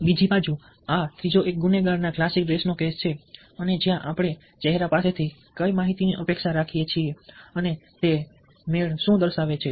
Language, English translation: Gujarati, on the hand other hand, this third one is a case of a classic case of a criminal and where a what information ah we expect on the face and what it styptics matches very often